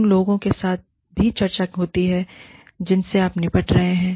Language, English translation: Hindi, There is also discussion with the people, who you are dealing with